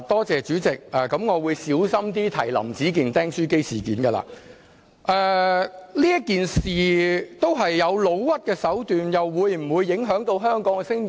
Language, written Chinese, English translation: Cantonese, 主席，我會小心點提及"林子健釘書機事件"，這事件涉及誣衊的手段，又會否影響到香港的聲譽？, President I will be careful when mentioning the staples incident of Howard LAM . As slanderous means are involved in this incident will the reputation of Hong Kong be affected?